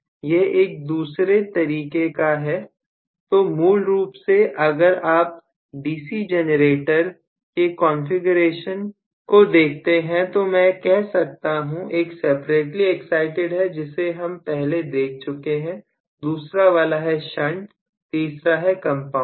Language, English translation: Hindi, This is another type, so I have basically if you look at the DC generator configuration I can say, of course, one is separately excited we have seen that already, and the second one is shunt, the third one we called was compound